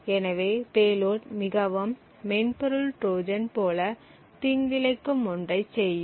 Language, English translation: Tamil, So, the payload very similar to that of the software Trojans would do something malicious